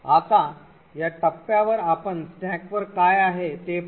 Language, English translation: Marathi, Now at this point we shall look at what is present on the stack